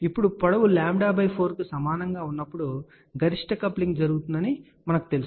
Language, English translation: Telugu, Now, here we know already that maximum coupling takes place when the length is equal to lambda by 4